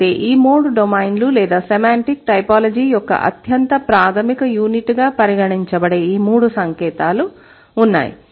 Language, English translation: Telugu, So, and these three domains are these three signs which are considered to be the most fundamental unit of semantic typology